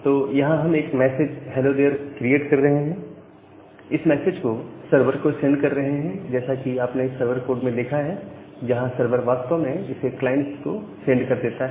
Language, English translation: Hindi, So, we are creating a message called hello there this particular message, we are sending to the server and as you have seen in the server code that the server will actually go back that particular thing to the client